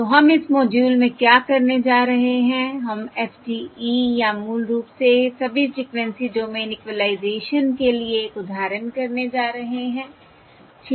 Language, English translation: Hindi, so what we have done in this thing is basically, we are considering FDE, which is Frequency Domain Equalisation